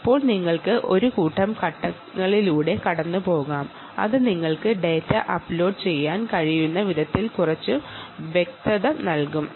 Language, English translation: Malayalam, ok, now lets go through a set of steps which will give some clarity on the ah way by which you can upload data